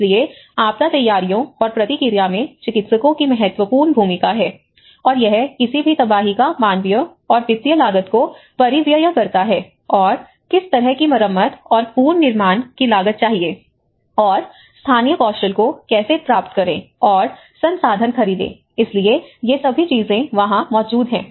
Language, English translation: Hindi, So, practitioners have a key role in disaster preparedness and response, and it also has to outlay the human and financial cost of any catastrophe and what kind of repair and the reconstruction is going to cost and how to procure the local skills, how to procure the resources, so all these things fall within there